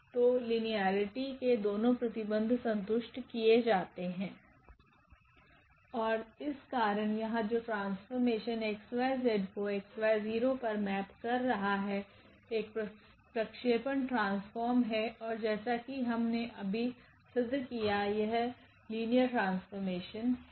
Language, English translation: Hindi, So, both the properties of the linear map a satisfied are satisfied and therefore, this given map here which maps the point x y z to x y 0; it is a projection map and that is linear map which we have just proved here ok